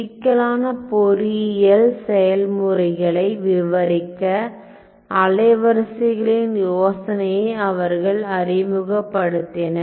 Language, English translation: Tamil, So, they introduced the idea of wavelets using wavelets to describe you know complex engineering processes